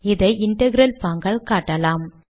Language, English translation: Tamil, This can be illustrated with the integral mode